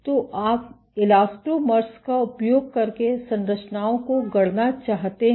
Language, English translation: Hindi, So, you want to fabricate structures using elastomers